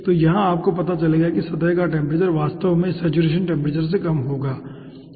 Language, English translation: Hindi, okay, so here you will find out, the surface will be actually having lower temperature than the saturation temperature